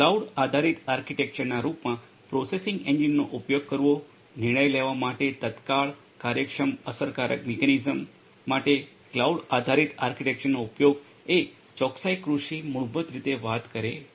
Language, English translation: Gujarati, Using a processing engine typically in the form of cloud based architecture use of cloud based architecture for prompt efficient effective mechanism for decision making is what precision agriculture basically talks about